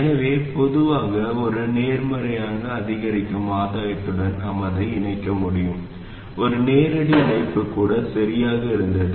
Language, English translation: Tamil, So we could connect it with a positive incremental gain in general and even a direct connection was okay